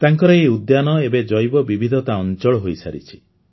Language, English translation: Odia, His garden has now become a Biodiversity Zone